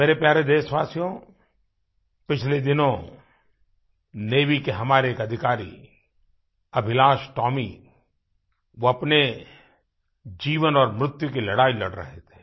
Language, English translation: Hindi, My dear countrymen, a few days ago, Officer AbhilashTomy of our Navy was struggling between life and death